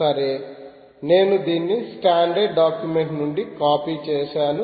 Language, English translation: Telugu, well, i copied this from the standard document